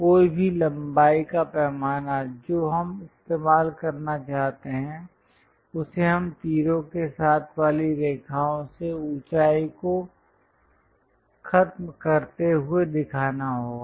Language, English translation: Hindi, Any length scale which we would like to use we have to show it by line with arrows terminating heights